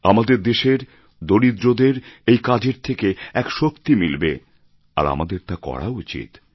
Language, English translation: Bengali, The poor of our country will derive strength from this and we must do it